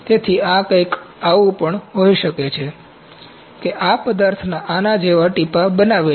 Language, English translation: Gujarati, So, this can even be something like this material is making drops like this